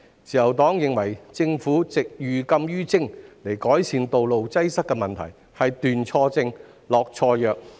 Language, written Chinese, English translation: Cantonese, 自由黨認為政府以寓禁於徵的方法改善道路擠塞的問題，是斷錯症、下錯藥。, The Liberal Party is of the view that the Government has made the wrong diagnosis and prescribed the wrong medicine by imposing prohibitive levies to ameliorate the road congestion problem